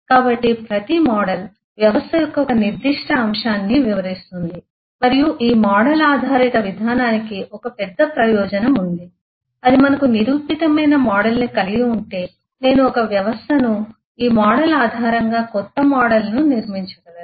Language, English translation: Telugu, So, eh a every model will describe a specific aspect of the system and this model based approach has a big advance that once we have a model which is proven, I can build a system, a new model based on this model